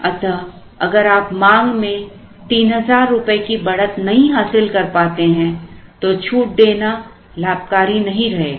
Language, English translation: Hindi, So, if you are not able to get the increase of 3,000, then it will not be profitable to give this discount